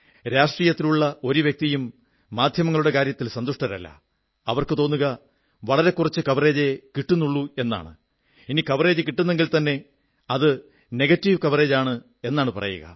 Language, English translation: Malayalam, No political person is ever happy with the media, he feels that he is getting a very little coverage or the coverage given to him is negative